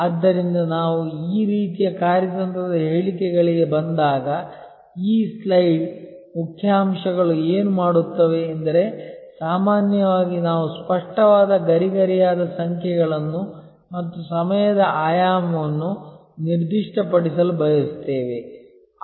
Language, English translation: Kannada, So, when we come to this kind of strategic statements, what did this slide highlights is that usually we would like to have clear crisp numbers and time dimensioned specified